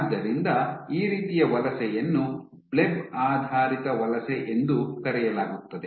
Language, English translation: Kannada, So, this kind of migration is called a bleb based migration